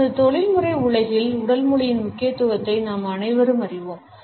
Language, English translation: Tamil, All of us are aware of the significance of body language in our professional world